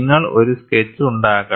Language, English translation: Malayalam, You make a sketch of this